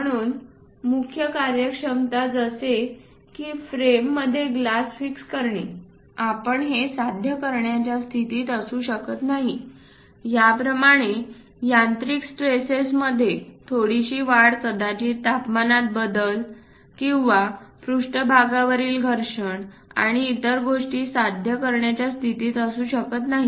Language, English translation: Marathi, So, the main functionality like fitting this glass inside that we may not be in a position to achieve, it a small increase in mechanical stresses perhaps temperature variations, or perhaps surface abrasions and other things